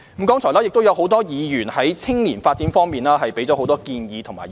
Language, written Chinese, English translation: Cantonese, 剛才亦有多位議員在青年發展方面提出很多建議和意見。, A number of Members have also put forward many suggestions and opinions on youth development